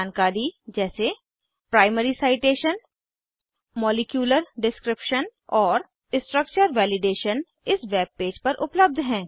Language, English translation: Hindi, Information like * Primary Citation * Molecular Description and * Structure Validationare available on this page